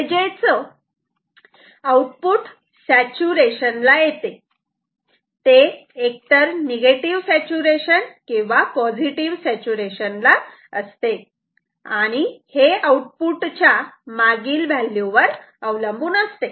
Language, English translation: Marathi, So, it will the output will saturate it will be either negative or positive saturation and it will depend on whether what was the previous value of output